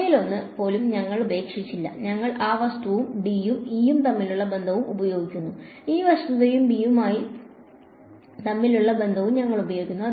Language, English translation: Malayalam, We did not leave even one of them, we use the fact that divergence of D is 0 and the relation between D and E, we use the fact that del dot B is 0 and the relation between B and mu